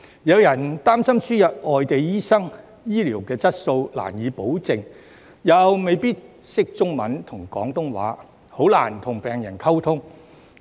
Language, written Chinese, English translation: Cantonese, 有人擔心輸入外地醫生，醫療質素便難以保證，他們又未必能操中文和廣東話，很難與病人溝通。, Some people are concerned that the admission of foreign doctors will make it difficult to guarantee healthcare quality and these doctors may not be able to speak Chinese and Cantonese so they may have difficulties in communicating with patients